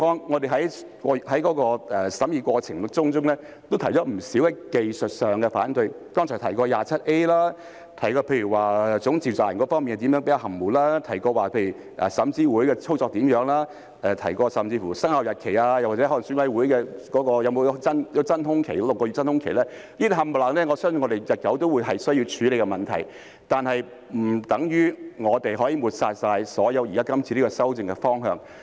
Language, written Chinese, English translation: Cantonese, 我們在審議過程中也提出了不少技術上的反對，例如剛才提到的第 27A 條、總召集人方面較為含糊，也提到候選人資格審查委員會的操作，甚至提到生效日期或選委會的真空期等，以上全部我相信也是日後需要處理的問題，但並不等於我們可以全部抹煞今次修訂的方向。, During the deliberation we also raised opposition to a lot of technical issues such as section 27A that I mentioned earlier and the rather ambiguous provisions on the Chief Convenor; the operation of the Candidate Eligibility Review Committee and even the effective date or the vacuum period of EC were also mentioned . I believe these are issues that will need to be dealt with in future but it does not mean that the direction of these legislative amendments can be completely overlooked